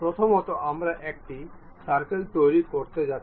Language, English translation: Bengali, First a circle we are going to construct